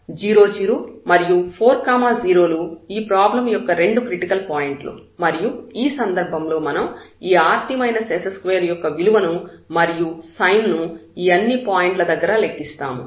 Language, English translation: Telugu, 0 0 and 4 0 these are the 2 critical points of the problem and in this case, now we will compute the behavior of the of this rt minus s square, the sign of rt minus s square at all these points